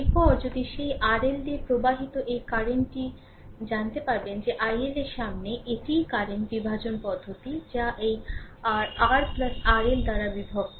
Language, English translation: Bengali, If the then that your then this current flowing through R L, you can find out that i L is equal to that is the current division method that is R divided by your R plus R L into this i